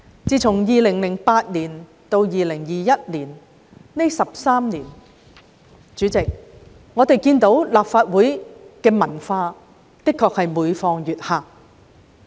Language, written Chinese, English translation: Cantonese, 主席，在2008年至2021年的13年間，大家看到立法會的文化的確每況愈下。, President during the 13 years from 2008 to 2021 everybody can honestly see the degradation of our parliamentary culture